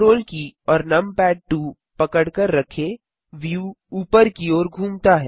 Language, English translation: Hindi, Hold ctrl and numpad2 the view pans upwards